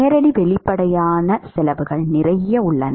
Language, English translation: Tamil, There are lots of direct obvious cost